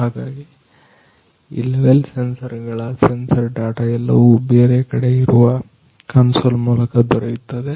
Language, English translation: Kannada, So these level sensors the sensor data are all available through some console somewhere